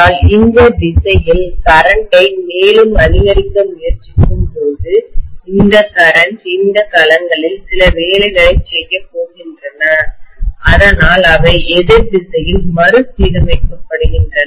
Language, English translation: Tamil, But when I try to increase the current in this direction further, this current is going to do some work on these domains because of which they are realigned in the opposite direction